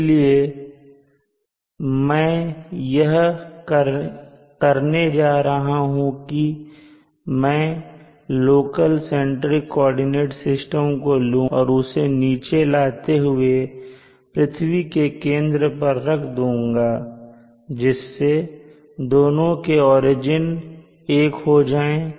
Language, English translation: Hindi, So what I am going to do is take this local centric coordinate system and try to push it down to the center of the earth such that this origin and this origin are the same